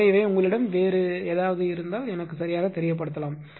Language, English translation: Tamil, So, ah if you have any other thing you can let me know right